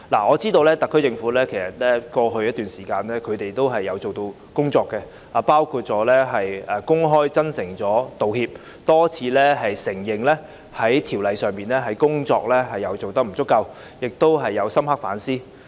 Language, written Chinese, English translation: Cantonese, 我知道特區政府在過去一段時間做了一些工夫，包括公開真誠道歉、多次承認修例工作的不足，亦有深刻反思。, I understand that the SAR Government has made some efforts over the past period of time which include making an open and sincere apology repeatedly admitting inadequacies on its part in the legislative amendment exercise and making deep reflections